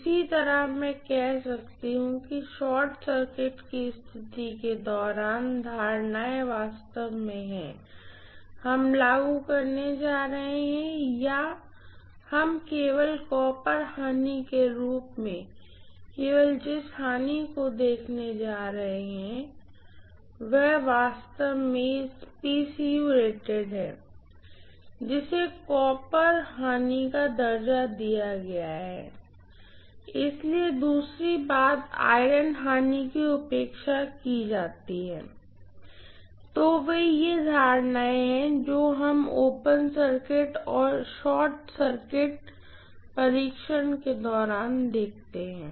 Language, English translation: Hindi, Similarly I can say assumptions during short circuit condition is actually, we are going to apply or we are going to look at only the losses as only copper losses and that is actually PCU rated, that is rated copper losses, so the second thing is the iron losses are neglected, right